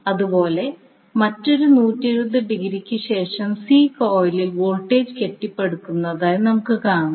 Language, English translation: Malayalam, Similarly after another 120 degree you will see voltage is now being building up in the C coil